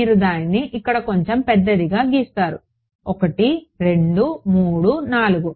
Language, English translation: Telugu, So, you draw it little bit bigger here 1 2 3 and 4